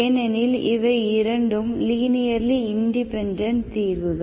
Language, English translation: Tamil, And these are 2 linearly independent solutions